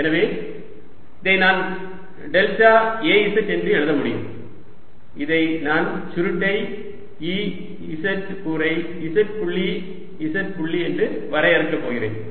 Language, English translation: Tamil, so i can write this as delta a, z, and this i am going to define as curl of e z component